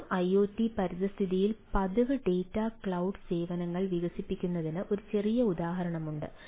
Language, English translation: Malayalam, so there is a small example that developing regular data clouds services in iot environment